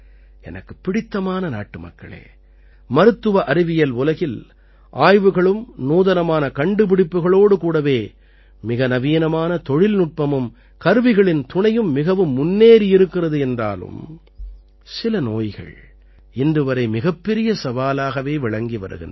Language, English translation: Tamil, My dear countrymen, the world of medical science has made a lot of progress with the help of research and innovation as well as stateoftheart technology and equipment, but some diseases, even today, remain a big challenge for us